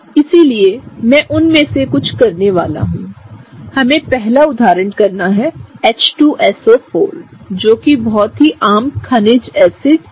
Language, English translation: Hindi, So, what I am gonna do is I am gonna do some of them, so let us do the first one which is H2SO4, which is a common mineral acid right